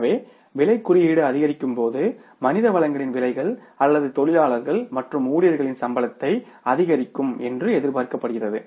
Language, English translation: Tamil, So, means when the price index goes up, everyone is expected to increase the prices of human resources or the salaries of the workers as well as employees